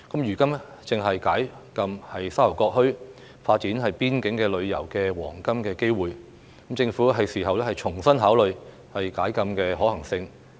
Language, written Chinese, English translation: Cantonese, 如今正是解禁沙頭角墟、發展邊境旅遊的黃金機會，政府是時候重新考慮解禁的可行性。, It is now the golden opportunity to open up the closed area of Sha Tau Kok Town for the development of boundary tourism and the Government should consider afresh its feasibility